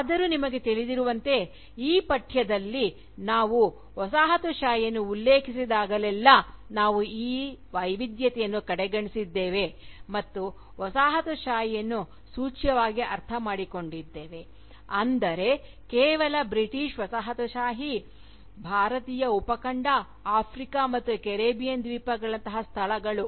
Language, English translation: Kannada, Yet, as you will know, in this course, whenever we have referred to Colonialism, we have disregarded this variety, and have implicitly understood Colonialism, to mean, just British Colonialism, of places like the Indian subcontinent, Africa, and the Caribbean islands